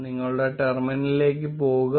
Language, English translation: Malayalam, Go to your terminal